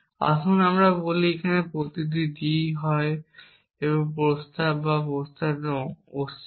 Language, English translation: Bengali, Let us say and each d I is either a proposition or negation of proposition